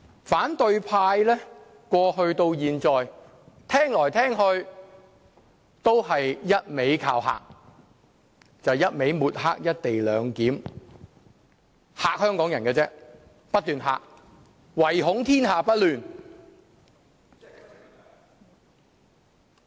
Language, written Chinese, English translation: Cantonese, 反對派過去到現在，聽來聽去都是一味"靠嚇"，就是一味抹黑"一地兩檢"安排，只是不斷嚇香港人，唯恐天下不亂。, For all these years the opposition camp has been intimidating us and smearing the co - location arrangement . It just keeps on frightening the Hong Kong people in the hope of creating more troubles in an already chaotic situation